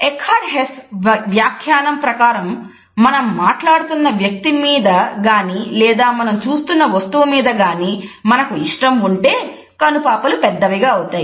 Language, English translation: Telugu, Eckhard Hess commented that pupil dilates when we are interested in the person we are talking to or the object we are looking at